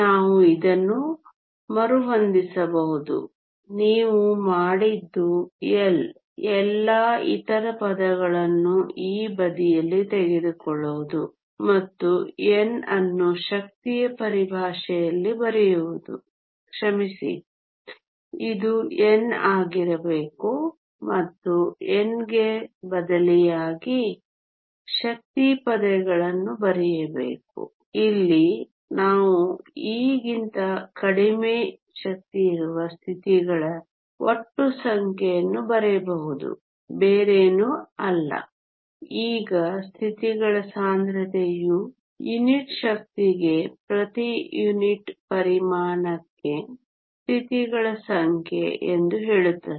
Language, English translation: Kannada, We can rearrange this; all you have done is to take L all the other terms this side and write n in terms of energy sorry this should be n write n terms of energy substituting for the n here we can write the total number of the states with energy less than e is nothing but now the density of states says is the number of states per unit volume per unit energy